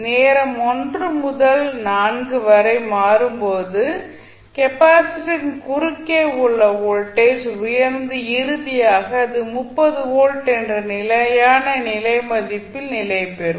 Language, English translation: Tamil, You will see when time is changing from 1 to 4 the voltage across capacitor is rising and finally it will settle down to the steady state value that is 30 volts